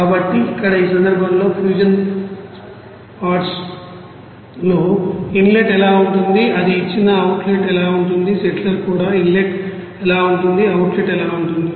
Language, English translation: Telugu, So, here in this case you know fusion pots what will be the inlet what will be the outlet it is given, in the settler also what will be the inlet, what will be the outlet it is given